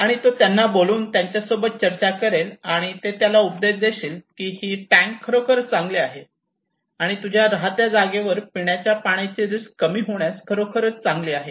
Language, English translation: Marathi, And he called him discussed with him and they advised that okay yes this tank is really potentially good to reduce the drinking water risk at your place